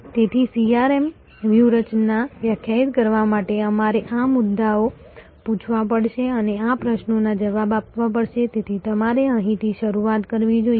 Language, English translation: Gujarati, So, to define a CRM strategy we have to ask these issues and answer these questions, so this is where you should start